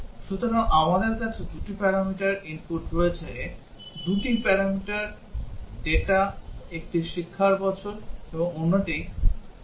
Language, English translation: Bengali, So, we have 2 parameters the input there are 2 input data one is a years of education and the other is age